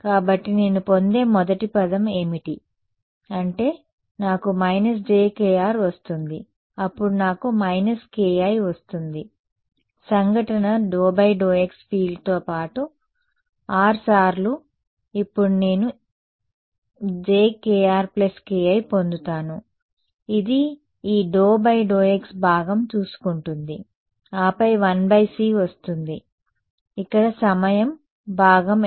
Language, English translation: Telugu, So, what is the first term that I get I get a minus j k r right then I get a minus k i is d by d x put on incident field plus R times now what will I get j k r plus k i this takes care of the d by dx part, then comes 1 by c what is the time part over here